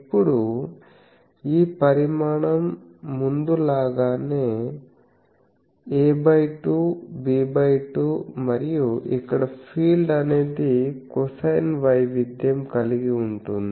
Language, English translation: Telugu, Now, this dimension is as before a by 2, this one is b by 2 and here the field will be something like this a cosine variation thing